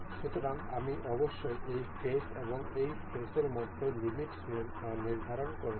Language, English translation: Bengali, So, I must I have set the limit between this face and this face